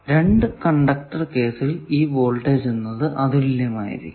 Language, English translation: Malayalam, Now, in case of 2 conductor line this voltage definition is unique